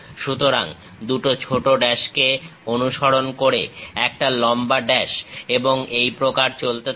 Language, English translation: Bengali, So, long dash followed by two small dashes, long dash followed by two dashes and so on